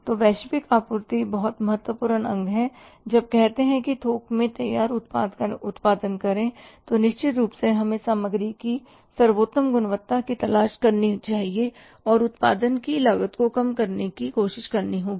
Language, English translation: Hindi, So, global sourcing is a very important component when we have to say produce the finished product in bulk then certainly we should look for the best quality of the material and try to minimize the cost of production